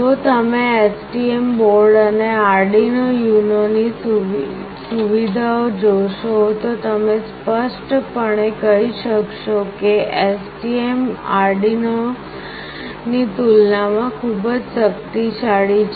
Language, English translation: Gujarati, If you see the features of STM board and Arduino UNO, you can clearly make out that STM is much powerful as compared to Arduino